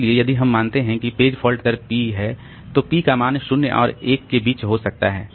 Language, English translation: Hindi, So, if we assume that a page fault rate is p, then p can be a value between 0 and 1